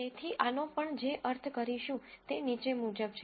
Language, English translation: Gujarati, So, what we mean by this is the following